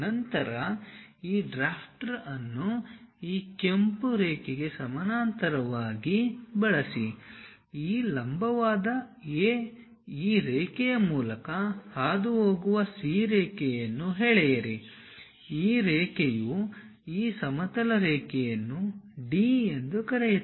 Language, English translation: Kannada, Then use your drafter parallel to this red line, draw one more line passing through that point C wherever this perpendicular A line means this horizontal line call it D